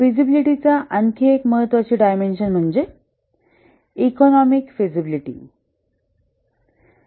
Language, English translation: Marathi, Another important dimension of the feasibility is the economic feasibility